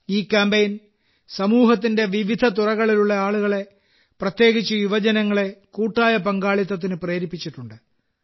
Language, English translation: Malayalam, This campaign has also inspired people from different walks of life, especially the youth, for collective participation